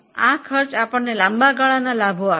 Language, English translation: Gujarati, Now, these costs are going to give us long term benefits